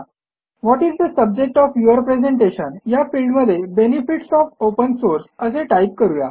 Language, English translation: Marathi, In the What is the subject of your presentation field, type Benefits of Open Source